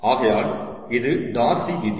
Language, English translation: Tamil, so this is darcys law